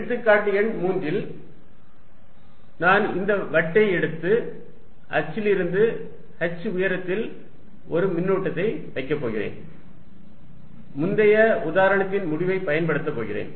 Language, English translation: Tamil, In example number 3, I am going to take this disc and put a charge at height h on the axis, I am going to use the result of previous example